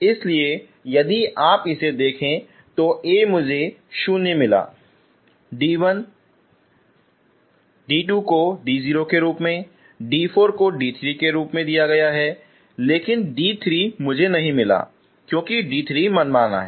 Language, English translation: Hindi, So if you see this A got 0 and d 1 d 2 are given in terms of d 0, d 4 in terms of d 3 because d 3 I could not find that means d 3 is arbitrary